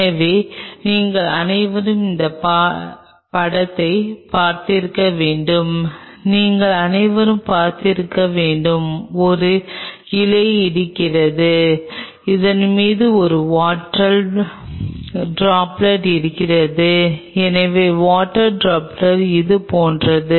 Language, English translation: Tamil, So, all of you have seen this picture you must have all seen suppose there is a leaf and there is a water droplet on it so, water droplet is like this